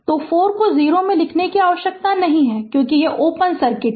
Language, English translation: Hindi, So, no need to write 4 into 0, because this is open circuit